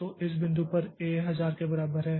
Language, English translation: Hindi, So, A gets the value 950